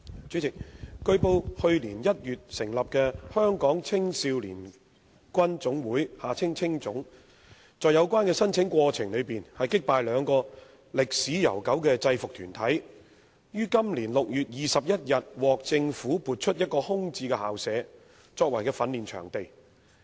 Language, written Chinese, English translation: Cantonese, 主席，據報，去年1月成立的香港青少年軍總會在有關的申請過程中，擊敗兩個歷史悠久的制服團體，於今年6月21日獲政府批出一個空置校舍，作為其訓練場地。, President it has been reported that the Hong Kong Army Cadets Association HKACA established in January last year was granted a vacant school premises by the Government on 21 June this year for use as its training venue prevailing over two uniformed groups with long histories in the relevant application process